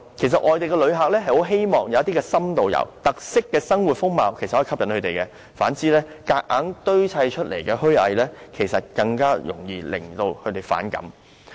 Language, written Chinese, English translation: Cantonese, 其實，外地旅客很喜歡深度遊，有特色的生活風貌可以吸引他們；反之，強行堆砌的虛偽，更容易惹他們反感。, In fact foreign tourists like in - depth travel . Special lifestyle and features are appealing to them . On the contrary hypocritical shows put up deliberately will easily arouse their aversion